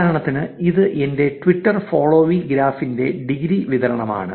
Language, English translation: Malayalam, For instance, this is the degree distribution of my Twitter followee graph